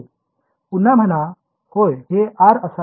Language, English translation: Marathi, Say again yeah this should be R